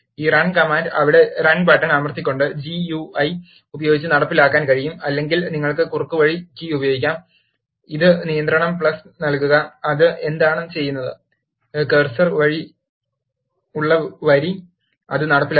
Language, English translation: Malayalam, This run command, can be executed using the GUI, by pressing the run button there, or you can use the Shortcut key, this is control plus enter, what it does is, it will execute the line in which the cursor is there